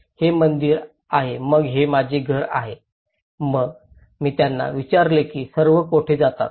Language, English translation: Marathi, this is temple then this is my house then I asked them where are all used to go